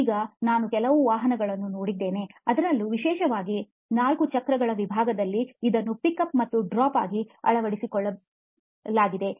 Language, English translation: Kannada, Now, I have seen a few automobile, particularly in the four wheeler segment adopt this as a pick up and drop